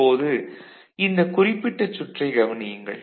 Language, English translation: Tamil, Now, look at this particular circuit what is, what is it